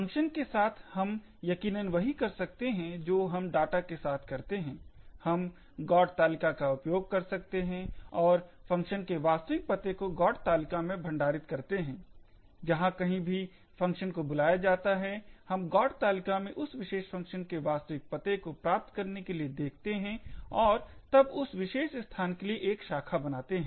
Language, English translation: Hindi, With functions we can do precisely what we have done with data, we could use a GOT table and store the actual addresses for the functions in this GOT table, wherever there is a call to a particular function we look up the GOT table obtained the actual address for that particular function and then make a branch to that particular location